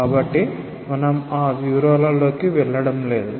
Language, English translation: Telugu, So, we are not going into that details